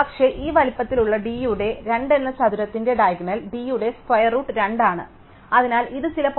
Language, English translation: Malayalam, But, the diagonal of this square of size d by 2 is square root of d by 2, so this is some points 0